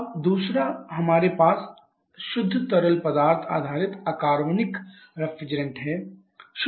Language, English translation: Hindi, Now second is we have the pure fluid based inorganic refrigerants